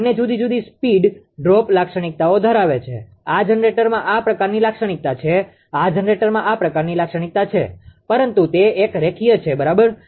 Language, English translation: Gujarati, Both having different speed droop characteristic, this generator has this kind of characteristic this generator has this kind of characteristic, but it is a linear, right